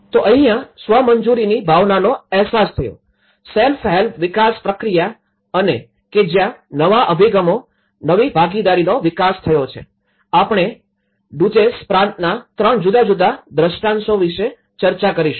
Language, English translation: Gujarati, So, this is where the turkey realized the sense of the self approved, self help development process and that is where the new approaches, the new partnerships has been developed, this is what we are going to discuss about 3 in different cases and in the Duzce province